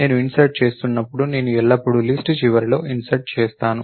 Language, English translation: Telugu, Then when I am inserting I always insert at the end of the list